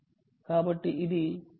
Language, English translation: Telugu, right, so it is